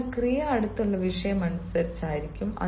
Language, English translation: Malayalam, so the verb will be according to the nearest subject